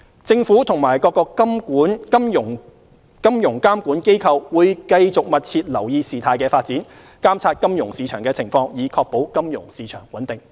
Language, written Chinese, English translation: Cantonese, 政府和各金融監管機構會繼續密切留意事態發展，監察金融市場情況，以確保金融市場穩定。, The Government and the financial regulators will continue to closely monitor the developments and the financial market situation with a view to ensuring financial stability